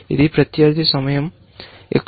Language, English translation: Telugu, This is opponent’s time, here